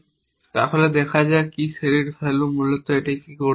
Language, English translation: Bengali, So, let see what select value is going to do essentially what it will do